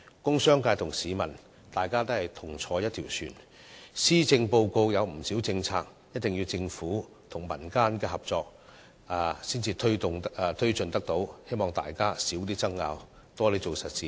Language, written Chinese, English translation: Cantonese, 工商界和市民也是同坐一條船，而且施政報告提出的不少政策，也須政府和民間合作才能推進，希望大家減少爭拗和多做實事。, The commercial and industrial sectors are in the same boat with the public . Moreover quite many policies proposed in the Policy Address cannot be taken forward without collaboration between the Government and the community . For these reasons I hope disputes can be reduced and efforts stepped up in doing solid work